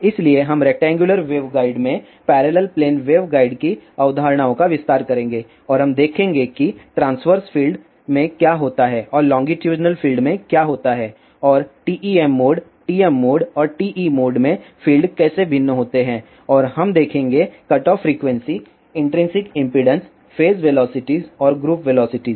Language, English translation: Hindi, So, we will extend the concepts of parallel plane waveguide in rectangular waveguide and we will see what happens to the transverses fields and what happens to the longitudinal fields and how fields are different and TEM mode TM mode and TE modes and we will see the cutoff frequency intrinsic impedances phase velocity and group velocity we will discuss all these thing in the next lecture